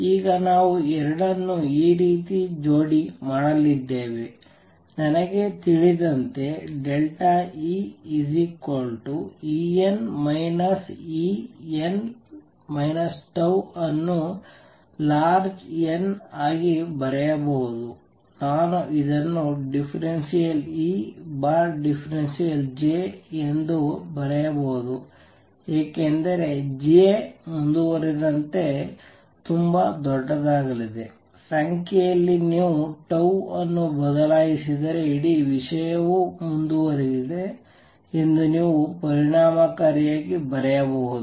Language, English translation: Kannada, Now you are going to marry the two the way we do it is like this, I know delta E is E n minus E n minus tau which can be written for large n, I can write this as partial E over partial J delta J, because J is going to be very large if you change tau by very small number you can effectively write as if the whole thing has gone in to a continue